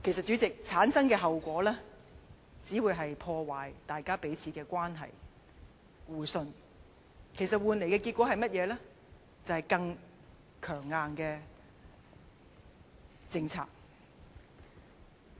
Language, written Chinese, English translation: Cantonese, 主席，這樣產生的效果，只會是破壞彼此關係和互信，換來甚麼結果呢？是更強硬的政策。, President such attempts will just damage the relationship and mutual confidence and will only lead to more hawkish policies